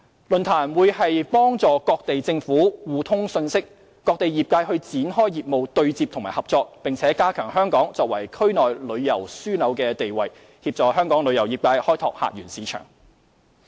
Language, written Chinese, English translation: Cantonese, 論壇將有助各地政府互通信息，各地業界展開業務對接和合作，並加強香港作為區內旅遊樞紐的地位，協助香港旅遊業界開拓客源市場。, The forum will help governments in various places exchange information and the tourism industry in various places initiate business ties and cooperation enhance Hong Kongs position as a regional tourism hub and assist Hong Kongs tourism industry in developing visitor source markets